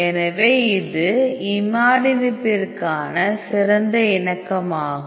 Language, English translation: Tamil, So, this is the best conformations for the imatinib